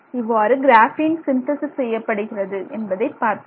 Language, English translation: Tamil, So, these are the ways in which we synthesize graphene